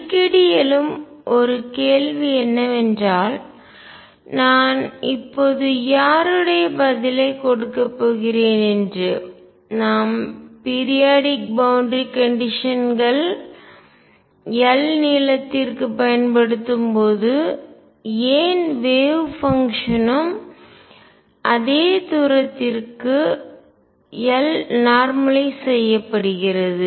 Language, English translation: Tamil, One question that often arises whose answer I am going to give now is when periodic boundary conditions are used over length l, why the wave function is also normalized over same distance l